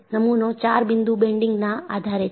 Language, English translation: Gujarati, The specimen is subjected to four point bending